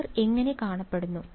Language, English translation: Malayalam, What do they look like